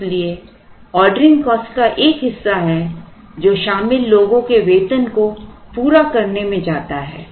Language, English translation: Hindi, So, they there is a part of the order cost that goes into meeting the salaries of the people who are involved